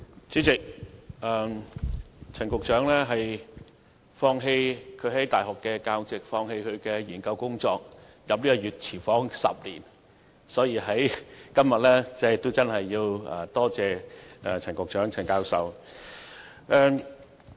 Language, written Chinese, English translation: Cantonese, 主席，陳局長當年放棄其大學教席及研究工作，進入這個"熱廚房 "10 年之久，所以今天真的要多謝陳教授。, President Secretary Prof CHAN gave up his university teaching post and research work back then and has worked in this hot kitchen for a decade I must therefore express my heartfelt thanks to Prof CHAN today